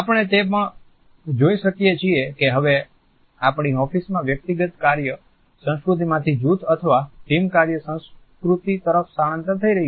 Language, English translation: Gujarati, In our offices we also see that now there is a shift from the individual work culture to a culture of group or team work